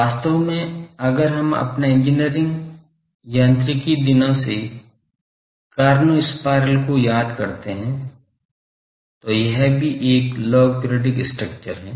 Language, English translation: Hindi, Actually if we remember the cornu spiral from our engineering mechanics days, that is also a log periodic structure